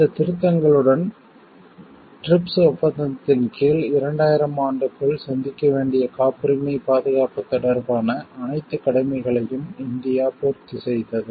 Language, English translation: Tamil, With these amendments, India made all its obligations relating to protect patent protection that it was required to meet by the year 2000 under the TRIPS agreement